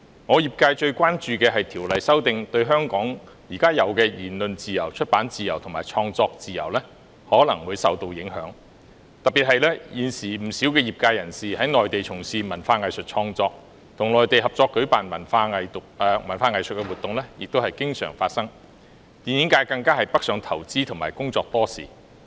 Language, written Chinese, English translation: Cantonese, 我的業界最關注的，是《條例》的修訂對香港現時的言論自由、出版自由和創作自由可能會帶來影響，特別是現時不少業界人士在內地從事文化藝術創作，與內地合作舉辦的文藝活動也甚常見，電影界更已北上投資和工作多時。, The prime concern of my sector was the possible impact of the amendments to FOO on the present freedom of speech freedom of publication and freedom of creation in Hong Kong particularly since many members of the sector are currently engaged in cultural and artistic creation on the Mainland . Cultural and arts activities jointly organized with the Mainland are common . The film industry has also made investments and worked on the Mainland for a long time